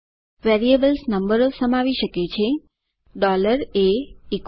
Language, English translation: Gujarati, Variables can contain numbers $a=100